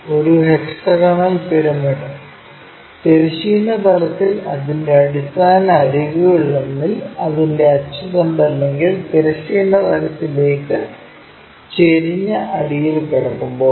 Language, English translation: Malayalam, A hexagonal pyramid when it lies on horizontal plane on one of its base edges with its axis or the base inclined to horizontal plane